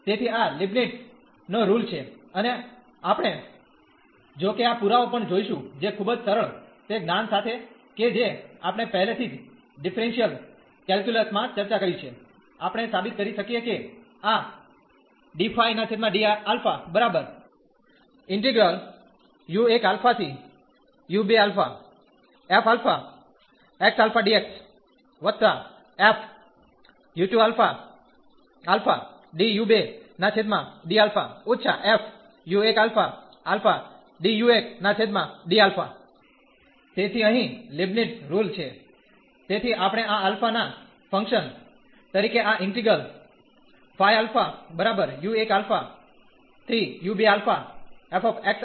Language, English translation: Gujarati, So, this is the Leibnitz rule and we will go though this proof also, which is very simple with the knowledge what we have already discussed in differential calculus, we can prove that this d phi over d alpha is equal to this 1